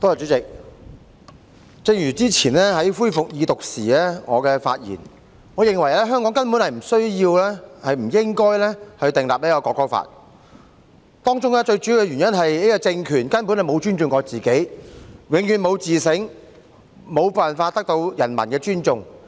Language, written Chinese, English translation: Cantonese, 主席，正如之前我在恢復二讀辯論時所說，我認為香港根本不需要、不應該訂立國歌法，當中最主要的原因是這個政權根本未曾尊重自己，永遠不會自省，無法得到人民的尊重。, Chairman as I said at the resumption of the Second Reading debate I think Hong Kong needs not and should not enact a national anthem law . The most important reason is that the regime has never respected itself never does any self - reflection and will never win the respect of the people . A draconian law will only give the authoritarian regime another weapon to persecute the people